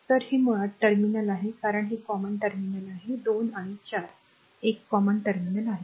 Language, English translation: Marathi, So, this is basically a 3 terminal, because this is common terminal 2 and 4 is a common terminal